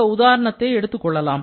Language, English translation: Tamil, Let us take this example here